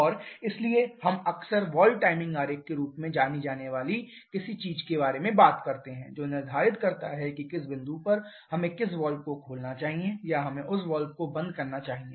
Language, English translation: Hindi, And therefore we often talk about something known as a valve timing diagram which determines at which point we should open which valve or we should close valve